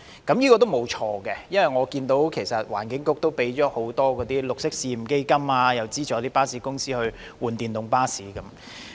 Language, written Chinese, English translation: Cantonese, 這是正確的，因為據我所見，環境局的綠色運輸試驗基金已批出多項申請，例如資助巴士公司更換電動巴士等。, I must say this is correct because as far as I can see a number of applications have been approved under the Pilot Green Transport Fund of the Environment Bureau such as providing bus companies with subsidies for adopting electric buses as replacement